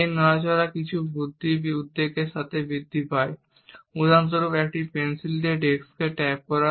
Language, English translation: Bengali, Some of these movements increase with increase anxiety for example, tapping the disk with a pencil